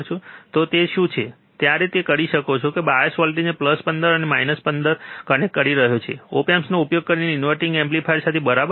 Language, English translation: Gujarati, So, what he is, right now performing is he is connecting the bias voltage is plus 15, minus 15 to the inverting amplifier using op amp, alright